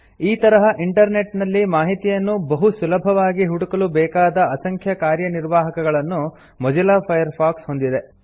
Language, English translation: Kannada, Mozilla Firefox has a number of functionalities that make it easy to search for information on the Internet